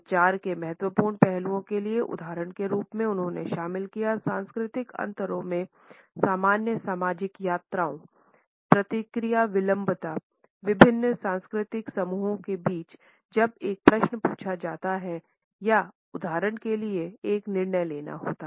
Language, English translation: Hindi, As examples for chronemically significant aspects in communication, he included the cross cultural differences in the duration of ordinary social visits, response latency among different cultural groups when a question is asked or for example, a decision is to be made